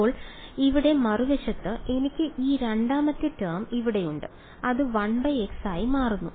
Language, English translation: Malayalam, Now on the other hand over here I have this other this second term over here which is blowing up as 1 by x